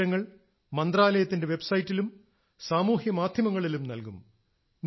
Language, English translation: Malayalam, This information will also be available on the website of the ministry, and will be circulated through social media